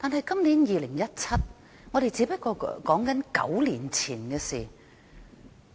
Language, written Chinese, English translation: Cantonese, 今年是2017年，我們說的只不過是9年前的事。, It is now 2017 we are talking about incidents that happened some nine years ago